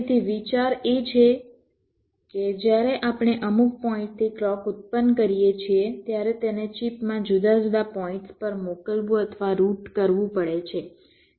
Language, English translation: Gujarati, so the idea is that when we generate a clock from some point, it has to be sent or routed to the different points in a chip